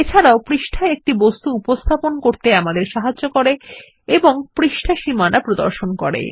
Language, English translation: Bengali, The ruler shows the size of an object on the page It also enables us to position an object on the page and displays page boundaries